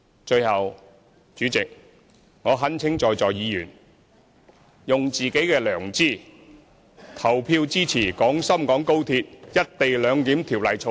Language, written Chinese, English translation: Cantonese, 最後，主席，我懇請在座議員，用自己的良知投票支持《廣深港高鐵條例草案》。, Finally President I implore Members present to vote according to their conscience and support the Guangzhou - Shenzhen - Hong Kong Express Rail Link Co - location Bill